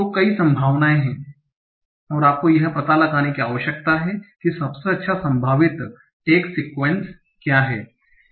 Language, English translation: Hindi, So there are many, many possibilities and you need to find out what is the best probable text sequence